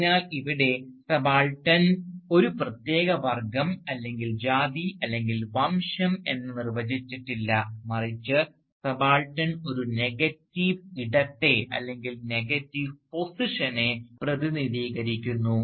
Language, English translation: Malayalam, So here, subaltern is not really defined as a special class, or caste, or race, but rather subaltern represents a negative space or a negative position